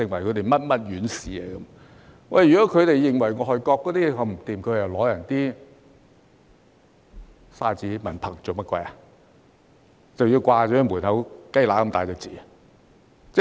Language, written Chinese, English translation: Cantonese, 如果他們認為外國水準這麼差，為何要獲取外國的證書、文憑，更要掛在門口"雞乸咁大隻字"呢？, If they find the standards of foreign countries so poor why did they obtain such certificates and diplomas in foreign countries and even display them at the entrance in such large prints that stick out like a sore thumb?